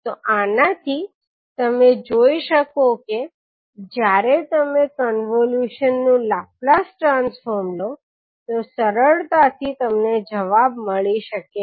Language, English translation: Gujarati, So with this you can simply see that when you apply the Laplace transform of the convolution you can easily get the answers